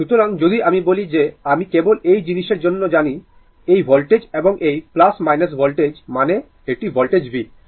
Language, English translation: Bengali, So, if we say that I know just for your this thing, this voltage and this plus minus voltage means this is the voltage v, right